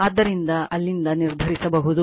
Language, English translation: Kannada, So, from there you can determine right